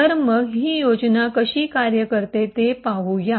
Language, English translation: Marathi, So let us see how this particular scheme works